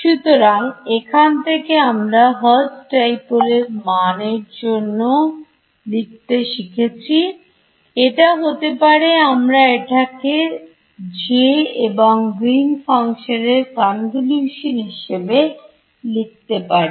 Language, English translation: Bengali, So, from here I can write down A for this Hertz dipole, it is going to be we have written it as the convolution of J and G 3D